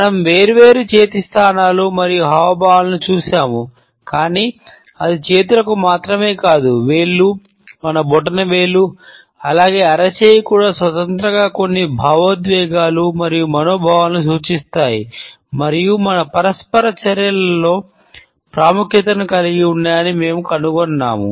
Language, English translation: Telugu, We have looked at different hand positions and gestures, but we find that it is not only the hands, but also the fingers independently as well as our thumb, even palm are indicative of certain emotions and moods and have a significance in our interactions